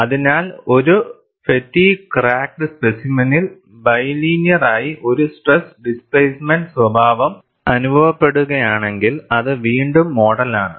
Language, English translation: Malayalam, So, if a fatigue cracked specimen experiences a stress displacement behavior as bilinear, which is the model again